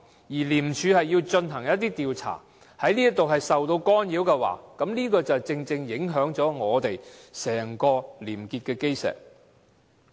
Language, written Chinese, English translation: Cantonese, 如果廉署要進行的一些調查受到干擾，便正正影響整個廉潔的基石。, Any intervention in ICACs investigation will only affect the whole cornerstone of probity